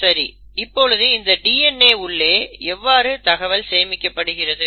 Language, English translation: Tamil, So how is it that, where is it in a DNA that the information is stored